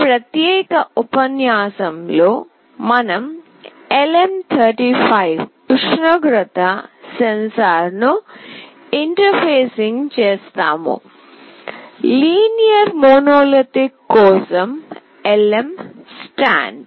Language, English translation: Telugu, In this particular lecture we will be interfacing LM35 temperature sensor; LM stand for Linear Monolithic